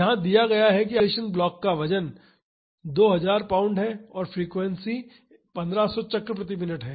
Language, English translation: Hindi, It is given that the weight of the isolation block is 2000 pounds and the forcing frequency is 1500 cycles per minute